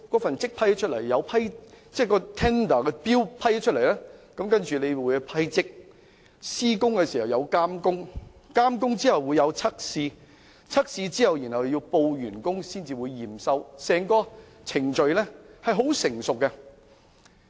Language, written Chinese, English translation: Cantonese, 審批標書後要審批圖則，施工時亦有監工，監工後會有測試，測試後要報告完工才會驗收，整個程序是很成熟的。, After a tender has been awarded the plans have to be approved the construction has to be supervised and tests have to be conducted . The works will only be accepted upon the production of the tests reports . The whole process is well - established